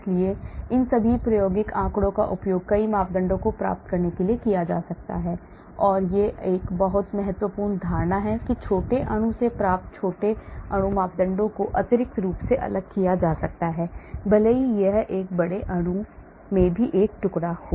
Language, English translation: Hindi, we can get some, so all these experimental data can be used to get many of the parameters and one important assumption is small molecule parameters obtained from small molecule can be extrapolated even if it is a fragment in a large molecule also